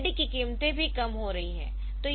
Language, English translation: Hindi, So, this LCD prices are also coming down